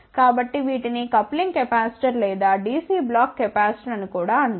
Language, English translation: Telugu, So, these are also known as coupling capacitor or DC block capacitor